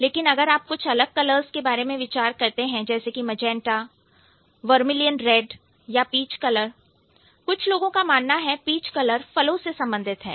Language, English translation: Hindi, But if you think about a colour like magenta or a colour like, let's say vermilion red or vermilion, so these kind of colours, peach colours, some people say peach color related to the fruits